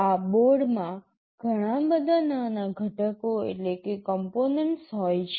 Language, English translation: Gujarati, This board contains a lot of small components